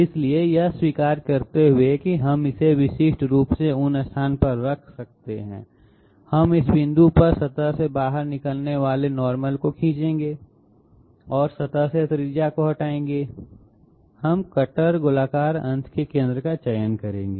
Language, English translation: Hindi, So having accepted that we can uniquely place it in what way, we will we will draw the normal emanating out of the surface at this point and radius away from the surface, we will select the centre of the cutter spherical end